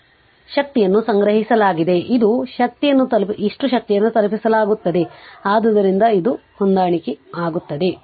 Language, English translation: Kannada, So, energy stored is equal to energy delivered so it is there matching right